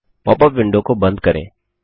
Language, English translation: Hindi, Close the pop up window